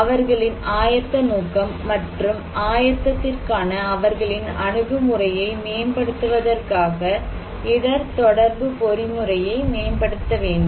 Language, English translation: Tamil, We need to improve our risk communication mechanism in order to improve their preparedness intention, their attitude towards preparedness